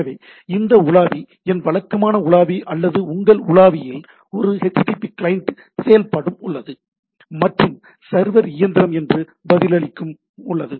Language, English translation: Tamil, So, this browser my typical browser or your browser is acting as a http client and the server machine is responding to that